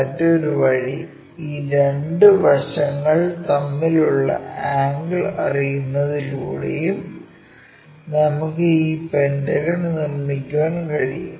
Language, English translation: Malayalam, The other way is by knowing the angle between these two sides also we can construct this pentagon